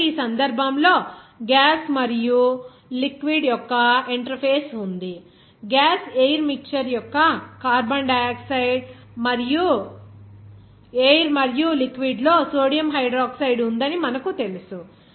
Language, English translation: Telugu, So, in this case there is an interface of this gas and liquid, gas air mixture of carbon dioxide and air and then you know that in the liquid there is sodium hydroxide